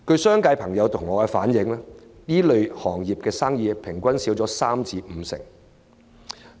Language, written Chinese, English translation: Cantonese, 商界朋友向我反映，上述行業的生意平均減少三成至五成。, My friends in the business sector have relayed to me that the aforesaid industries have suffered a 30 % to 50 % drop in business on average